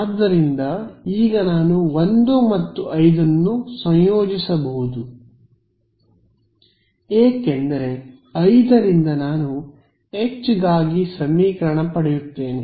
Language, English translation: Kannada, So, now I can combine 1 and 5 because from 5 I get a relation for H correct